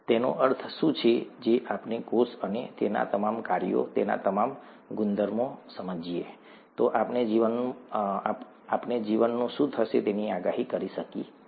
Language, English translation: Gujarati, What does it mean, if we understand cell, the cell, and all its functions, all its properties, then we would be able to somewhat predict what happens to life